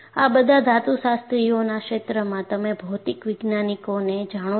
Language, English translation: Gujarati, See, all these, in the domain of metallurgist, you know material scientist